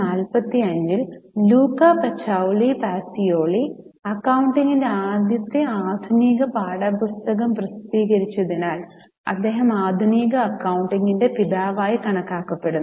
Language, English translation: Malayalam, So, in 1445, we have Luca Pacioli, who is considered as a father of modern accounting because he published the first modern textbook of accounting